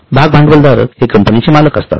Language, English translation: Marathi, These are the owners of the company